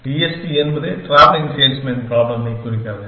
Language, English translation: Tamil, TSP stands for Travelling Salesman Problem